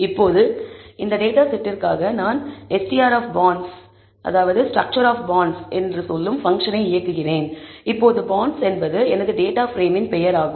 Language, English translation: Tamil, Now for this dataset, I run the function I say str of bonds now bonds is the name of my data frame